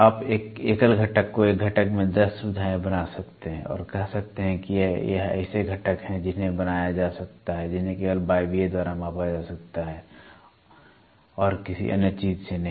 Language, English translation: Hindi, You can take a single component make 10 features in a single component and say these are the components which can be made which can be measured only by pneumatic and not by anything else